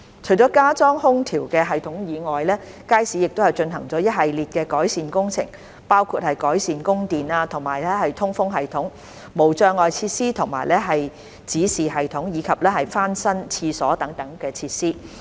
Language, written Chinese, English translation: Cantonese, 除了加裝空調系統外，街市亦進行一系列改善工程，包括改善供電和通風系統、無障礙設施和指示系統，以及翻新廁所等設施。, Apart from installing the air - conditioning system the Market also underwent a series of improvement works which include upgrading of the electricity supply and ventilation system barrier - free facilities and signage system as well as refurbishment of toilet facilities etc